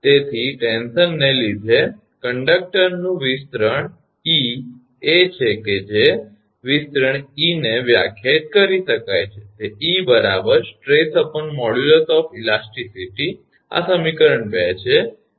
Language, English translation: Gujarati, So, elongation e of the conductor due to the tension, is that elongation e can be defined as that e is equal to stress divided by modulus of elasticity, this is equation 2